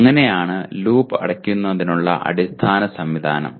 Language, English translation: Malayalam, So that is the basic mechanism of closing the loop